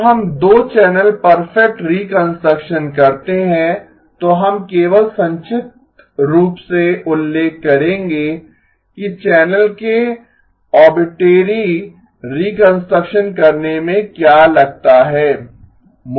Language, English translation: Hindi, After we do 2 channel perfect reconstruction, we will only briefly mention what it takes to do arbitrary channel perfect reconstruction